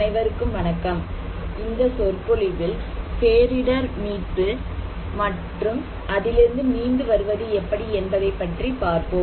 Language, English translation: Tamil, Hello everyone, we are talking about lecture course on disaster recovery and build back better